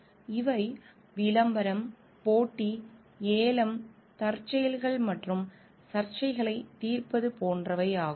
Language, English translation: Tamil, And these are advertising, competitive bidding, contingencies and resolution of disputes